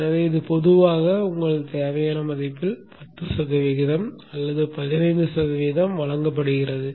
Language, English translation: Tamil, So this is generally given like 10% or 15% of your nominal value